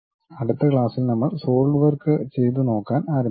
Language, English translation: Malayalam, And in the next class, we will begin with Solidworks as a practice thing